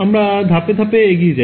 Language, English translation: Bengali, So, let us go over it step by step ok